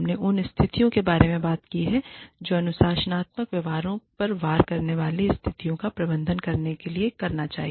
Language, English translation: Hindi, We talked about, what you should do to manage situations, that may warrant disciplinary behaviors